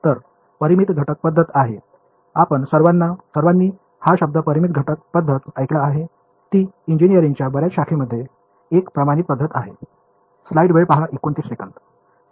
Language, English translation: Marathi, So, finite element method is; you’ve all heard the word right finite element method it is a standard method in many branches of engineering ok